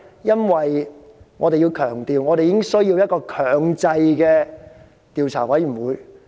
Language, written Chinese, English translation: Cantonese, 因為我們需要一個具有強制調查權的調查委員會。, The reason is that we need to have an inquiry committee conferred with compulsory inquiry powers